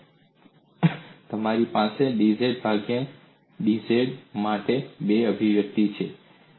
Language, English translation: Gujarati, So now I have two expressions, for dw by dz